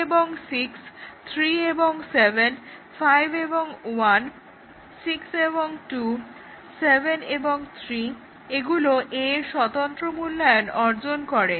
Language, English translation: Bengali, 2 and 6, 3 and 7, 5 and 1, 6 and 2, 7 and 3; this achieve independent evaluation of A